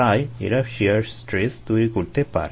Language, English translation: Bengali, therefore it can cause shear stress